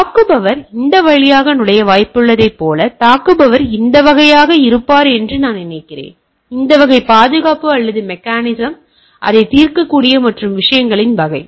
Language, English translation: Tamil, Like the attacker is likely to enter through this, I think that the attacker will be this category, this category of guard or mechanism able to solve it and type of things